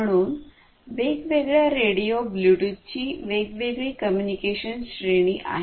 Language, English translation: Marathi, So, different radios will give you different transmission range communication range of Bluetooth